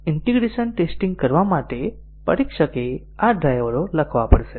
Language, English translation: Gujarati, So, for performing integration testing, the tester has to write these drivers